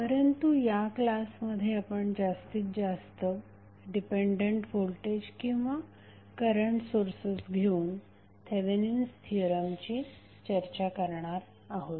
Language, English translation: Marathi, So, in this class we will continue our discussion on the Thevenin's theorem but we will discuss more about the dependent sources that may be the voltage or current